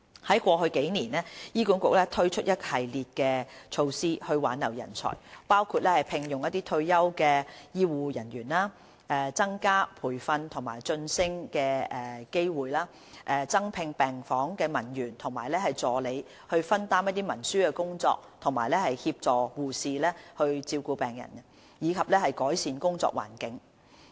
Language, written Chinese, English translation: Cantonese, 在過去數年，醫管局推出一系列措施以挽留人才，包括聘用退休護理人員、增加培訓及晉升的機會、增聘病房文員及助理以分擔文書工作及協助護士照顧病人，以及改善工作環境等。, In the past few years HA has introduced a series of measures to retain talent including employing retired nursing staff increasing training and promotion opportunities employing additional ward clerks and assistants to share out the clerical work and assist nurses in taking care of patients improving the work environment etc